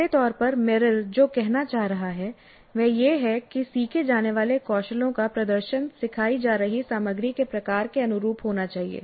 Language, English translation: Hindi, Very broadly what Merrill is trying to say is that the demonstration of the skills to be learned must be consistent with the type of content being taught